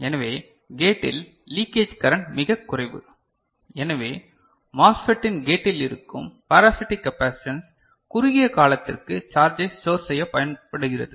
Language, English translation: Tamil, So, the leakage current at the gate is very small so, the parasitic capacitance that would be there at the gate of the MOSFET that can be used to store charge for a short time